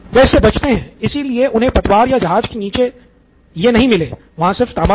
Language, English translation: Hindi, So, that is why they never got copper at the bottom of the hull when they had just copper